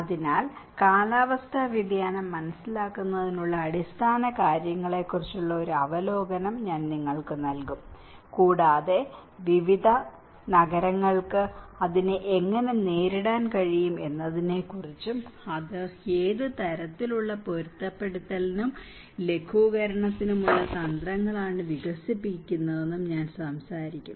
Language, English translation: Malayalam, So, I will give you an overview of the basics of climate change understanding and I will also talk about how different cities are able to cope up with it, and what kind of strategies of for adaptation and mitigation they are developing and we will have a little critical understanding of all these approaches